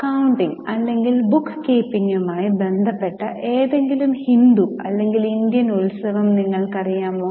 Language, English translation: Malayalam, Now do you know any Hindu or Indian festival which is associated with accounting or bookkeeping